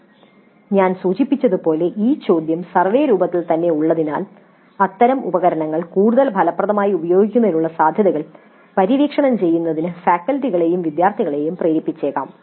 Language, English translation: Malayalam, Again as I mentioned, having this question itself in the survey form may trigger both the faculty and students to explore the possibilities of using such tools in a more effective fashion